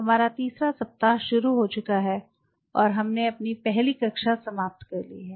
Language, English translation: Hindi, So, we are in week 3 and we have finished our first class